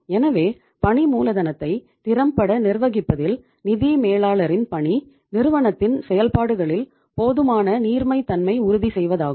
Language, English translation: Tamil, So task of financial manager in managing working capital efficiently is to ensure sufficient liquidity in the operations of the enterprise